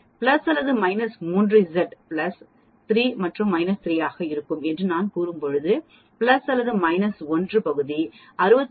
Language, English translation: Tamil, When I say plus or minus 3 sigma z will be plus 3 and minus 3 now these numbers are also very important when you say plus or minus 1 sigma area is 68